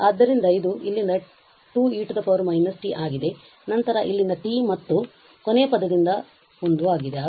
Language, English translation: Kannada, So, it is 2 e power minus t from here then t from here and the one from the last term